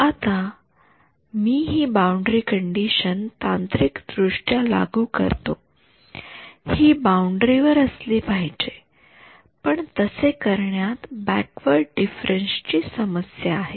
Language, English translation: Marathi, So, I am going to impose this boundary condition technically it should be on the boundary, but doing that has this problem of backward difference